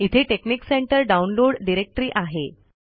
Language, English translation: Marathi, So here I have texnic center download directory